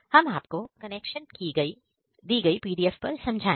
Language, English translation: Hindi, We will show you the connection in the pdf we have provided